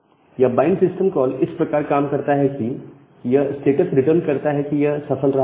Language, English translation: Hindi, So, this bind system call works in this way it returns the status whether the bind is successful or not